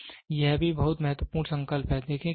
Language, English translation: Hindi, So, this is also very important resolution